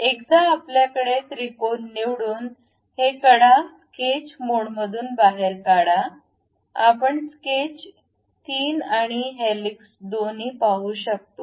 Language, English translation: Marathi, Once we have that triangle pick this edges come out of the sketch mode, then we will see sketch 3 and also helix